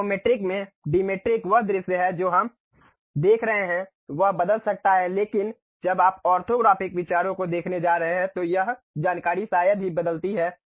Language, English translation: Hindi, At Isometric, Dimetric the view what we are seeing might change, but when you are going to look at orthographic views these information hardly changes